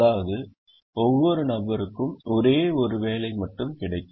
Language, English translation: Tamil, each person gets only one job